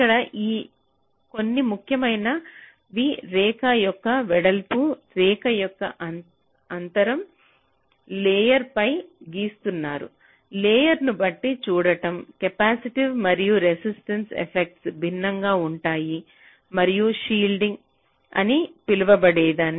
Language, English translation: Telugu, see, there are a few things that can do: play with width of the line, spacing of the line, so on which layer you are drawing it, as you have seen, depending on the layer, the capacitive and resistive effects will be different and something called shielding